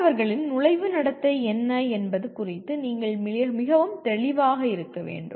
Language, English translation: Tamil, And then you must be very clear about what is the entering behavior of students